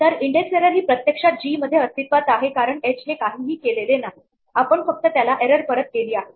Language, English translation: Marathi, So, an index error is actually now within g because h did not do anything with that error we just passed it back with the error